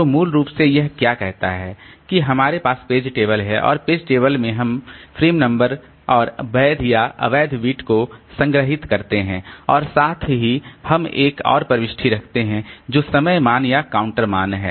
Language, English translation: Hindi, So, basically what it says is that we have the page table and in the page table so we store we are storing the frame number and the valid invalid bit and also we keep another entry which is the time value or the counter value